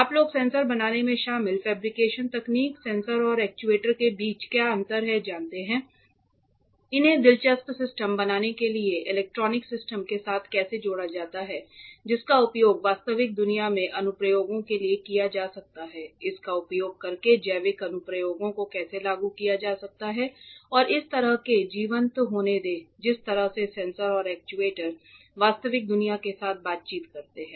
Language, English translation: Hindi, The fabrication techniques involved in making such sensors, what is the difference between sensors and actuators, how these are interfaced with electronic systems to make interesting systems that can be used for real world applications, how biological applications can be implemented using this and let such vibrant ways in which sensors and actuators interact with the real world you would have covered